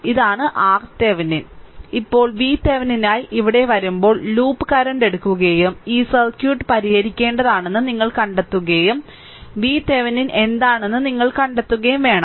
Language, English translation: Malayalam, Now, let me clear it and when we will come here for V Thevenin, we have taken the loop current right and you have to find out what you have to solve this circuit and you have to find out what is your V Thevenin